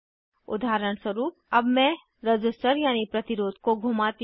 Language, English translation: Hindi, For example, let me rotate the resistor